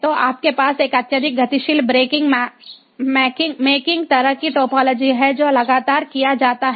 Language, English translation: Hindi, so you have a highly dynamic breaking making kind of topology which is done continuously